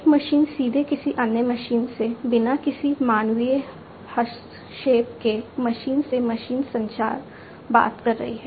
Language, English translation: Hindi, One machine directly talking to another machine without any human intervention, machine to machine communication